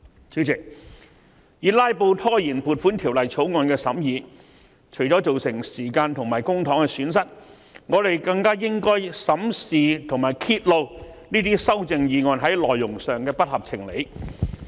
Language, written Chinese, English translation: Cantonese, 主席，以"拉布"拖延《條例草案》的審議除了會造成時間和公帑方面的損失外，我們更應審視和揭露這些修正案內容的不合情理之處。, Chairman procrastinating the scrutiny of the Bill by way of filibuster will not only lead to the loss of time and public money the unreasonable contents of these amendments also warrant our examination and revelation